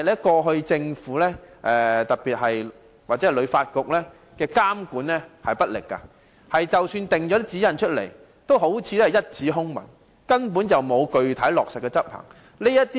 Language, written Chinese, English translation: Cantonese, 過去政府或香港旅遊發展局監管不力，即使訂下指引亦好像一紙空文，根本沒有具體落實執行。, Yet the Government and the Hong Kong Tourism Board HKTB have been ineffective in supervision . Even if guidelines are set they have never been enforced